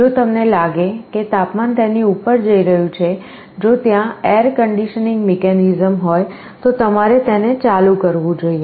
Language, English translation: Gujarati, If you find the temperature is going above it, if there is an air conditioning mechanism, you should be turning it on